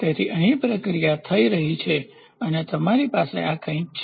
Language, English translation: Gujarati, So, here is the process happening and you have something like this